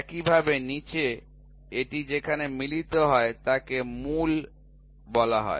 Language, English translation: Bengali, In the same way in the bottom wherever it meets in it is called as the root